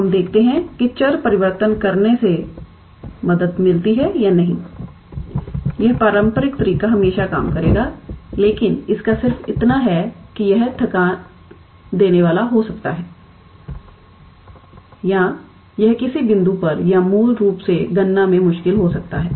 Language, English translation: Hindi, So, let us see whether doing change of variable helps or not, that traditional method will always work, but its just that it might get tedious or it might get difficult at some point or the calculation basically